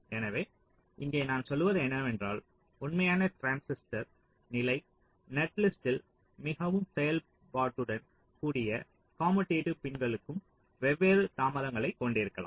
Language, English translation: Tamil, so, uh, here what we are saying is that in actual transistor level, netlist, the commutative pins which are so functionally can have different delays